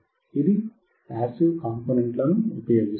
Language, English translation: Telugu, This is using the passive components